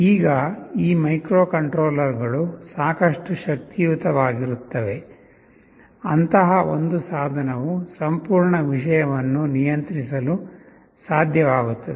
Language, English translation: Kannada, Now these microcontrollers are powerful enough, such that a single such device will be able to control the entire thing